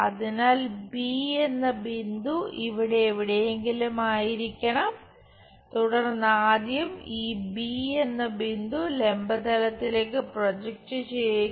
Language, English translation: Malayalam, So, point B must be somewhere there, then project first of all this point B on to vertical plane